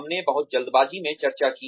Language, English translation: Hindi, We discussed very hurriedly